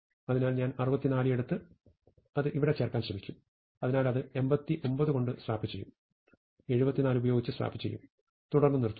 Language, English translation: Malayalam, So, I will take 64 and try to insert it here, so it will swap with 89